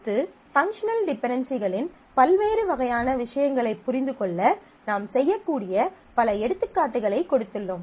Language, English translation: Tamil, Next what I have done is, we have put a number of practice problems for various kind of things that you can do with functional dependencies